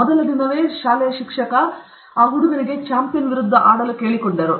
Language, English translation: Kannada, The first day itself the teacher asked him to play against the school champion